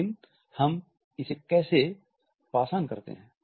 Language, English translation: Hindi, But how do we pass it on